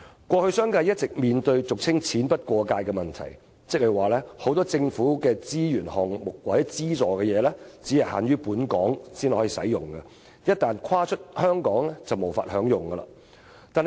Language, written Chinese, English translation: Cantonese, 過去商界一直面對俗稱"錢不過界"的問題，即很多政府資助只限於在本港才能使用，一旦跨出香港就無法享用。, In the past the business sector had all along been faced with the problem of no funding beyond the boundary; that is many government subsidies were only allowed to be used locally and could not be enjoyed outside Hong Kong